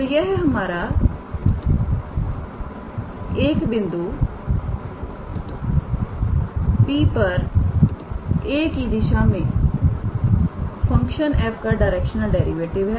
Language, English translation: Hindi, So, this is our directional derivative of the function f at the point P in the direction of a